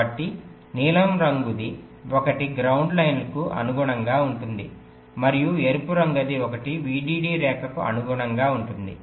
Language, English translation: Telugu, so the blue one correspond to the ground line and the red one correspond to the vdd line